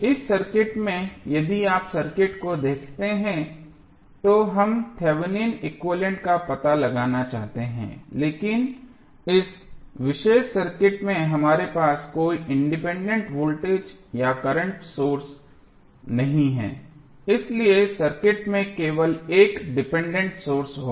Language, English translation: Hindi, In this circuit if you see the circuit we want to find out the Thevenin equivalent but in this particular circuit we do not have any independent voltage or current source, so the circuit would have only dependent source